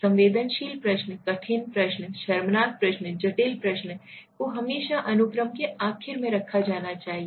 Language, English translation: Hindi, Difficult questions which are sensitive, embarrassing, complex should be always placed in the last in the sequence, okay